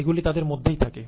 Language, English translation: Bengali, That is inside them